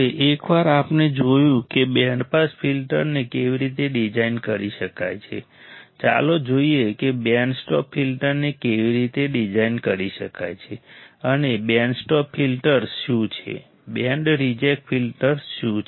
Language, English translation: Gujarati, Now, once we have seen how the band pass filter can be designed, let us see how band stop filter can be designed, and what are band stop filters, what are band reject filters right